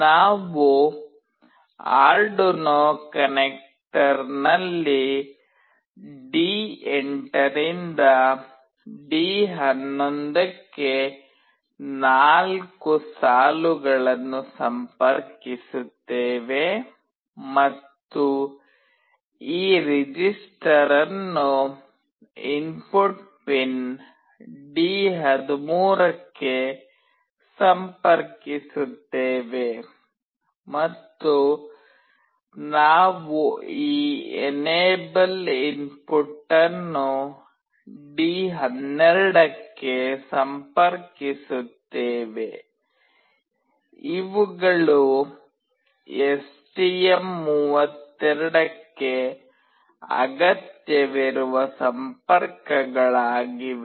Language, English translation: Kannada, We connect the 4 lines, D8 to D11 on the Arduino connector and we connect this register select to input pin D13, and we connect this enable input to D12, these are the connections that are required for STM32